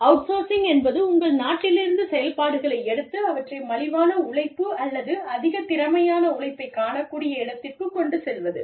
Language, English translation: Tamil, Outsourcing means, you take the operations, from within your country, and take them to a location, where you can either find cheap labor, or more skilled labor, or you know, better facilities